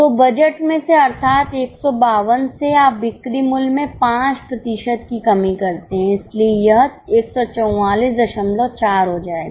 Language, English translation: Hindi, So, from budget, that is from 152, you decrease the selling price by 5%